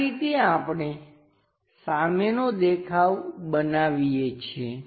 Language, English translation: Gujarati, This is the way we construct a front view